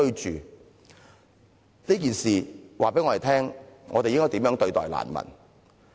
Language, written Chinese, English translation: Cantonese, 這件事告訴我們應該怎樣對待難民。, The story may shed some light on how we should treat refugees